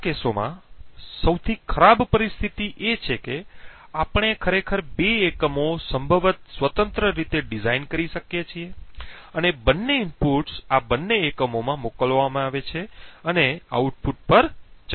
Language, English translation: Gujarati, In such cases the worst case situation is where we could actually have two units possibly designed independently and both inputs are sent into both of these units and verified at the output